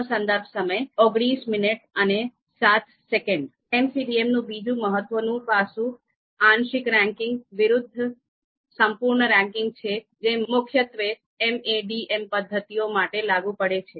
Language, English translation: Gujarati, Now another important aspect of MCDM is the complete ranking versus partial ranking